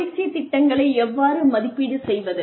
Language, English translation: Tamil, How do you evaluate, training programs